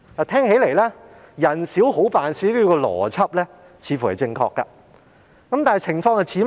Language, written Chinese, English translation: Cantonese, 聽起來，"人少好辦事"這邏輯似乎正確，但這情況像甚麼呢？, Seemingly the logic of too many cooks spoil the broth sounds correct but what does the situation look like?